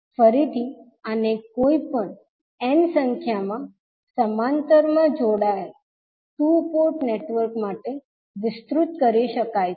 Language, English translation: Gujarati, Now, again this can be extended to any n number of two port networks which are connected in parallel